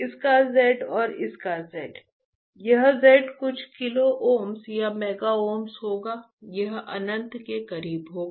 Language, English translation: Hindi, The z of this and the z of this, this z would be some kilo ohms or mega ohms this will be close to infinite, understood right